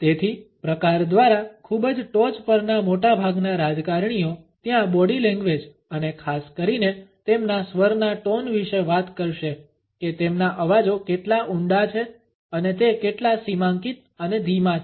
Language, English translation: Gujarati, So, by variant most politicians at the very top will have talk about there body language and especially their voice tone how deep their voices and how emarginated and slow it is